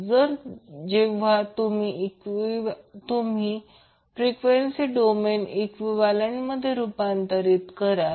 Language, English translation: Marathi, We need to first obtain the frequency domain equivalent of the circuit